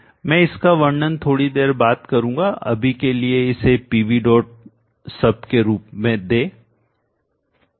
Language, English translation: Hindi, I will describe that a bit later for now just give it as P V